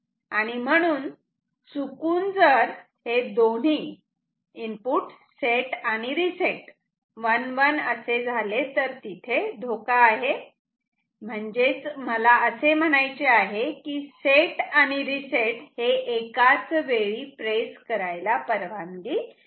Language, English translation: Marathi, There is a risk of accidentally say making set equal to 1 and reset equal to 1; that means, I say there is a chance of pressing set and reset simultaneously which is not allowed ok